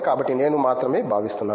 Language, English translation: Telugu, So, I am feeling like that